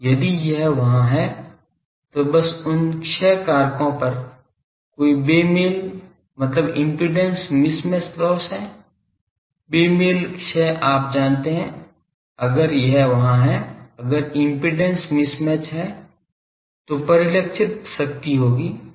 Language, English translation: Hindi, If it is there , simply at those loss factors ; no mismatch mismatch means impedance mismatch loss , mismatch loss you know if it is there , if there impedance mismatch, then there will be the reflected power